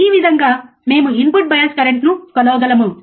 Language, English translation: Telugu, This is how we can measure the input bias current